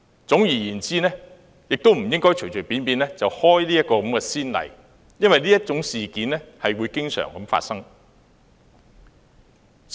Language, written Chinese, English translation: Cantonese, 總之，我們不應隨便開此先例，因為這種事件會經常發生。, Whichever the case may be we should not set a precedent as such incidents may occur frequently